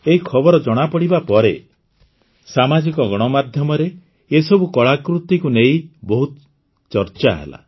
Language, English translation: Odia, After this news came to the fore, there was a lot of discussion on social media about these artefacts